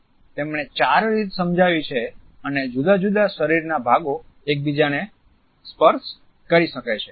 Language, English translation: Gujarati, He has illustrated four ways and different body parts can touch each other